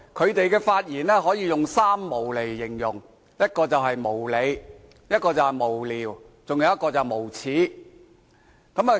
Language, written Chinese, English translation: Cantonese, 他們的發言可以用"三無"來形容：無理、無聊、無耻。, Their remarks could be described with three words unreasonable meaningless and shameless